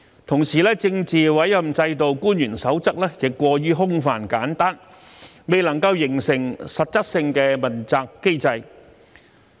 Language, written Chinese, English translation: Cantonese, 同時，《政治委任制度官員守則》亦過於空泛簡單，未能形成實質的問責機制。, Besides the Code for Officials under the Political Appointment system is too simple in content so simple that it fails to bring about actual accountability